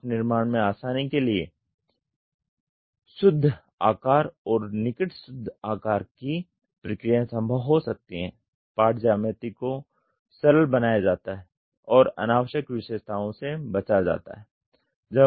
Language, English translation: Hindi, Designed for ease of part fabrication; net shape and near net shape processes may be feasible, part geometry is simplified and unnecessary features are avoided